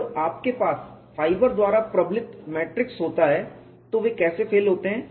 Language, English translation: Hindi, When you have a matrix reinforced by fibers, how do they fail